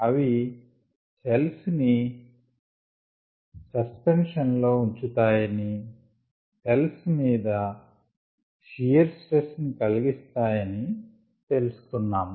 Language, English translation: Telugu, we said they also cause they keep the cells in suspension with also cause shear stress on cells